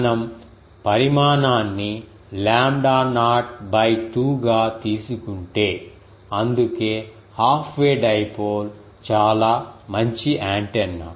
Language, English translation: Telugu, If we take the size to be lambda ah lambda naught by 2, that is why half way of dipole is quite a good ah antenna